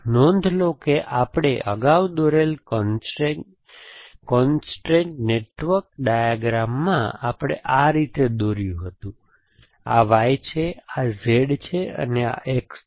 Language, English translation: Gujarati, Notice that, in the constrate network diagram that we had drawn earlier, we would have drawn this like this, this is Y, this is Z and this is X